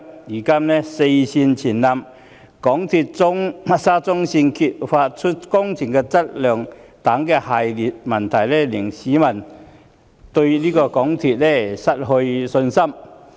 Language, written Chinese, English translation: Cantonese, 如今"四線全倒"及沙中線被揭發工程質素差勁等一系列問題，更令市民對港鐵公司失去信心。, The recent successive problems such as the simultaneous breakdown of four rail lines and the uncovering of the substandard SCL works have even ripped people of their confidence in MTRCL